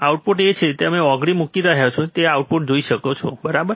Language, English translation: Gujarati, Output is see he is he is placing his finger so, that we can see the output, right